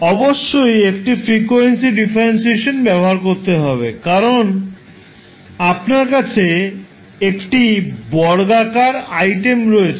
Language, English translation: Bengali, You have to use the frequency differentiation because you have a t square item